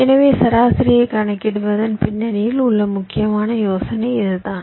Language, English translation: Tamil, so the essential idea behind calculating median is this, right